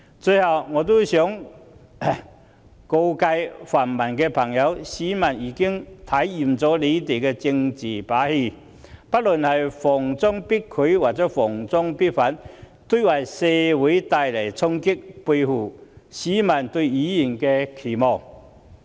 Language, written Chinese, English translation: Cantonese, 最後，我想告誡泛民朋友，市民已經看厭了他們的政治把戲，不論是"逢中必拒"或"逢中必反"，都為社會帶來衝擊，背棄市民對議員的期望。, Finally I wish to warn friends of the pan - democratic camp members of the public are fed up with your political game of rejecting or opposing everything related to China . This will bring disruptions to the community and run contrary to the aspirations of the public